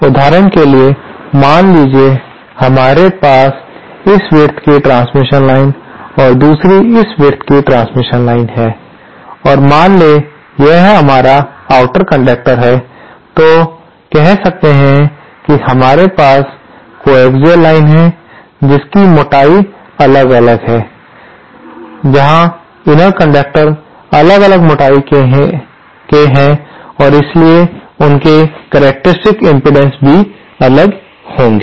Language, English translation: Hindi, For example, say you have 1 transmission line of this width and another of this width and suppose this is the outer conductor, so say you have 2 coaxial lines which are of different thickness where the inner conductor is of different thickness and therefore of different characteristic impedances